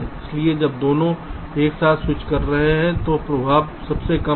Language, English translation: Hindi, so when both are switching together the effect is the least